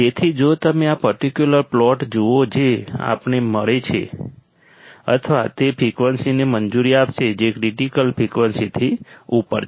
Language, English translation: Gujarati, So, if you see this particular plot what we find is that it will allow or it will allow frequencies which are above critical frequencies